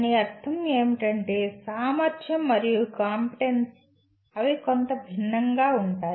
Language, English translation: Telugu, What it means is capability and competency they are somewhat different